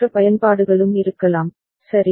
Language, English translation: Tamil, And there can be other uses as well, right